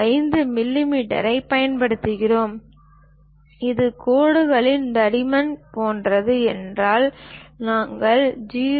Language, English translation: Tamil, 5 millimeters; if it is something like thickness of lines, we use 0